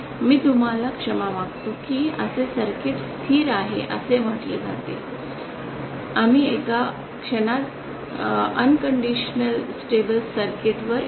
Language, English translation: Marathi, I beg your pardon such a circuit is said to be stable we shall come to the condition of unconditional stability in a moment